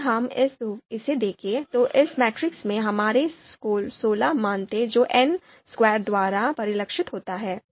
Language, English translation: Hindi, So if we look at this, then we have then we had sixteen values in this matrix so which is reflected by n square